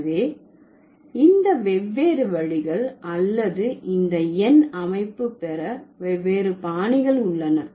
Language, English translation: Tamil, So, these are the different ways or these are the different styles of getting the number system